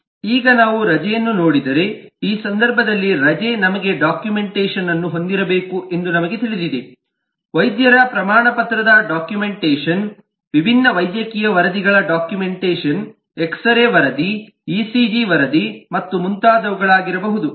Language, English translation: Kannada, so now if we look at the leave itself, then we know that the leave, in this case we need to have the documentation, the documentation of the doctors certificate, the documentation of the different medical reports may be the x ray report, the ecg report and so on, so forth